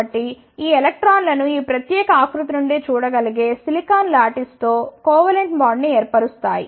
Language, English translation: Telugu, So, these electrons form the covalent bond with the silicon lattice, that can be seen from this particular figure